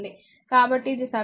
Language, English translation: Telugu, So, if this is equation 1